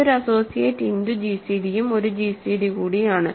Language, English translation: Malayalam, Any associate times gcd is also a gcd